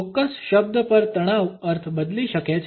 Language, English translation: Gujarati, Stress on a particular word may alter the meaning